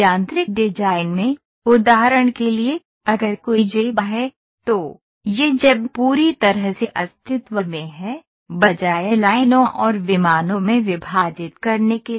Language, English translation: Hindi, In mechanical design, for example, if there is a pocket, so, this pocket is fully taken into existence, rather than splitting it in to lines and planes